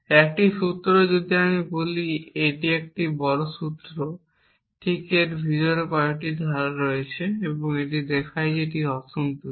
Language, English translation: Bengali, A formula when I say this is the large formula right this got many clauses inside it and it used to show that the formula is unsatisfiable